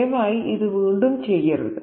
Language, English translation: Malayalam, Please don't do it again